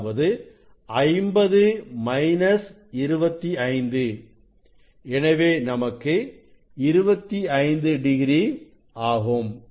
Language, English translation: Tamil, now, it is a 50 minus theta 0 means 25 degree 25 degree